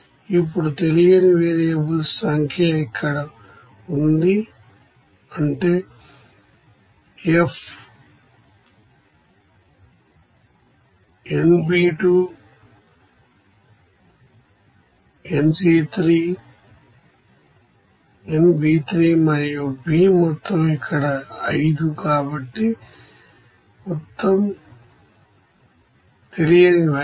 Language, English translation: Telugu, Now we know that number of unknown variables are here that is F, nB1, nA3, nB3 and B total is here 5, so total unknowns 5